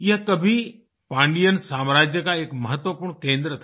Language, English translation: Hindi, Once it was an important centre of the Pandyan Empire